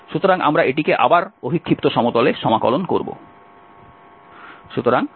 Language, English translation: Bengali, So, we will integrate this over again projected plane